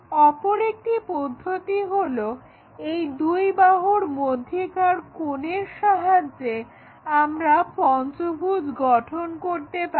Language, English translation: Bengali, The other way is by knowing the angle between these two sides also we can construct this pentagon